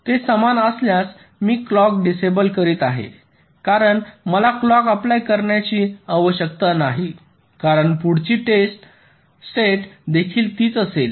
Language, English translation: Marathi, if they are same, i am disabling the clock because i need not apply the clock, because the next state will also be the same